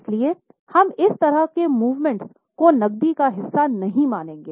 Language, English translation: Hindi, So, we will not consider such moments as a part of cash